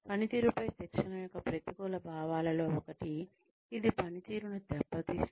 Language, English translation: Telugu, One of the negative impacts of, training on performance is that, it hampers performance